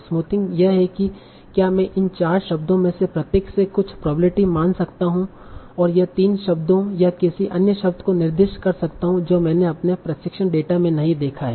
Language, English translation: Hindi, The idea of smoothing is, can I take some probability mass from each of these four words and assign that to the three words or any other word that I have not seen my training data